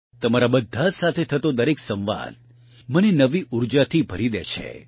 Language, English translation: Gujarati, Every interaction with all of you fills me up with new energy